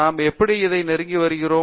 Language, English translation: Tamil, How we are approaching things to it